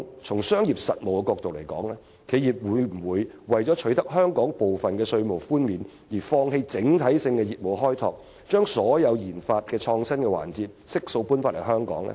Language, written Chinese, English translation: Cantonese, 從商業實務角度而言，企業會否為了取得香港部分的稅務寬免，放棄整體的業務開拓，把所有研發創新的環節悉數搬回香港呢？, They also require division of labour . From the angle of actual business operation will an enterprise forgo its overall business development and relocate all the research development and innovation segments back to Hong Kong in return for Hong Kongs tax concessions?